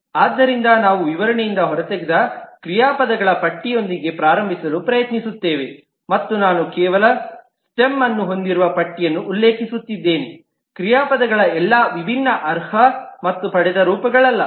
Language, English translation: Kannada, So we will try to start with a list of verbs that we have extracted from the specification and I am just referring to the list that has just the stem, not all different qualified and derived forms of the verbs